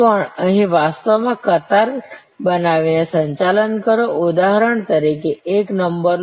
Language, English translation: Gujarati, Even also actually manage the queue by creating here, for example take a number